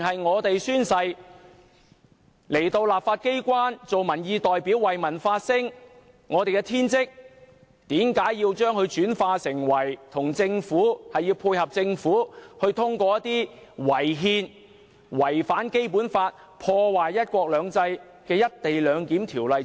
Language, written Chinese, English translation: Cantonese, 我們宣誓進入立法機關擔任民意代表，為民發聲是我們的天職，為何要我們配合政府，通過違憲、違反《基本法》、破壞"一國兩制"的《條例草案》？, As we have taken our oaths to serve as representatives of public opinion in the legislature and to speak for the people is our bounded duty why must we support the Government to pass the Bill that is unconstitutional infringes the Basic Law and undermines one country two systems?